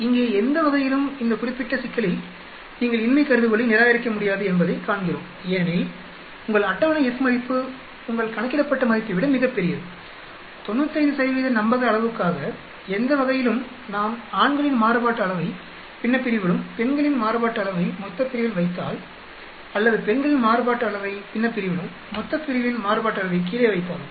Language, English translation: Tamil, In either way here, in this particular problem we see that you cannot reject the null hypothesis because you are table F value is much larger than your calculated F value for 95 % confidence level, either way whether we put the variance of the men in the numerator and variance of the women in the denominator or if we put variance of the women in the numerator, variance of the denominator in the bottom